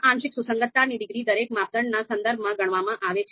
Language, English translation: Gujarati, Now this these partial concordance degrees are calculated with respect to each criterion